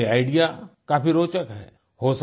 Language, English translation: Hindi, Their idea is very interesting